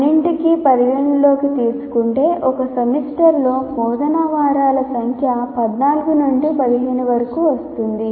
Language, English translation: Telugu, So keep taking all that into account, the number of teaching weeks in a semester comes around to 14 to 15